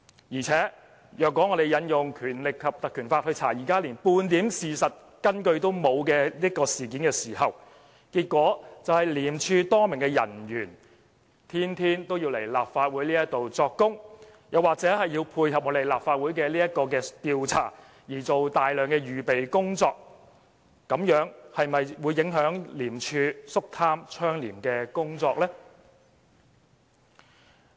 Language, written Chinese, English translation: Cantonese, 況且，如果我們引用《條例》來調查現時連半點事實根據也沒有的事件，結果將會是廉署多名人員每天均要前來立法會作供，或要為配合立法會的調查而做大量準備工夫，這樣是否會影響廉署執行肅貪倡廉的工作呢？, This is not a blessing to Hong Kong people . Moreover if we invoke the Ordinance to investigate this incident in the absence of any evidence a lot of ICAC officers will have to give evidence in the Legislative Council every day and they may also have to do a huge amount of preparatory work in order to dovetail with the investigation by this Council . Will this affect ICACs anti - corruption work?